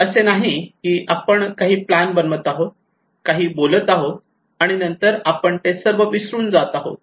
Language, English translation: Marathi, It is not that we are making a plan we are talking and then we forgot about everything